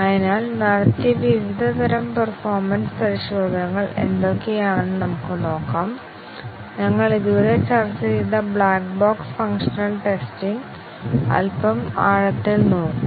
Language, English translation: Malayalam, So, let us see what are the different categories of performance tests that are done; The black box functional testing we have discussed so far in quite a bit of depth